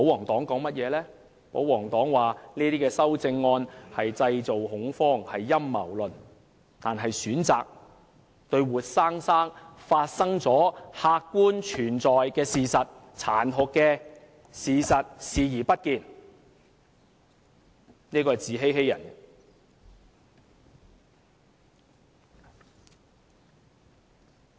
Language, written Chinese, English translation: Cantonese, 他們指這些修正案製造恐慌，是陰謀論；他們選擇對活生生已發生及客觀存在的殘酷事實視而不見，自欺欺人。, They think the amendments are proposed on the basis of conspiracy theories seeking to create panic . They choose to ignore the cruel reality which objectively exists before us as they try to deceive themselves and others